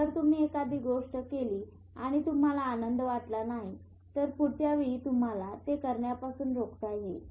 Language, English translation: Marathi, Even if you do something and your brain does not feel pleasure it will next time prevent you from doing it